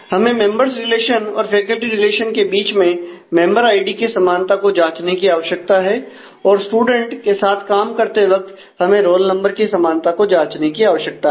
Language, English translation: Hindi, We need to check the equality of member id between the members relation and the faculty relation and while dealing with the student we need to check for the equality of the roll number